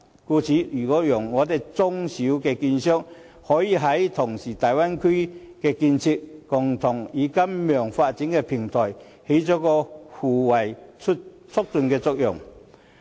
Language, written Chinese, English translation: Cantonese, 故此，如果讓香港的中小券商也可以同時參與大灣區的建設，共同參與金融發展的平台，便能發揮互為促進的作用。, If small and medium securities dealers in Hong Kong can also participate in Bay Area development and contribute to the construction of the financial platform mutual benefits will result